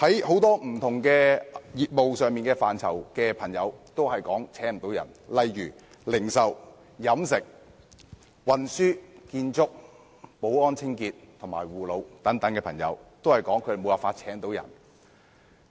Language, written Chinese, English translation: Cantonese, 很多不同業務範疇的朋友均無法招聘員工，例如零售、飲食、運輸、建築、保安、清潔及護老等行業也表示無法招聘員工。, Many people in various types of business are unable to recruit workers . For example those engaged in such industries as retail catering transportation construction security services cleaning and elderly care have invariably said that they are unable to recruit workers